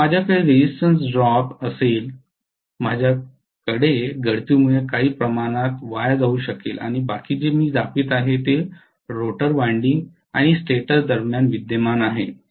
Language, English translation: Marathi, So I will have a resistance drop, I will have some portion going as a wastage due to leakage and rest of it what I am showing is actually the mutual that is existing between the rotor winding and the stator